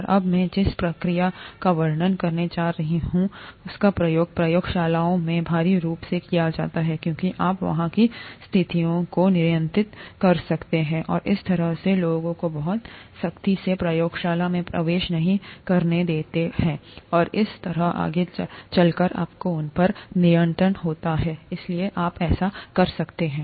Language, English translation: Hindi, And, the procedure that I’m going to describe now, is used heavily in labs, because you can control the conditions there and kind of not let people enter the lab very strictly and so on so forth, you have a control over that, and therefore you could do that